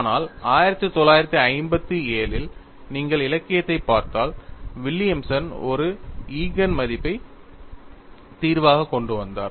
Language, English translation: Tamil, But if you are looking at the literature in 1957, Williams came out with an Eigen value solution